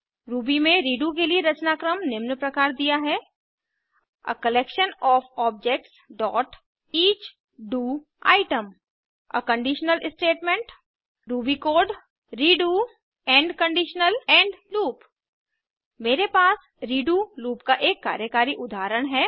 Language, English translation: Hindi, The syntax for redo in Ruby is as follows: a collection of objects.each do item a conditional statement ruby code redo end conditional end loop I have a working example of the redo loop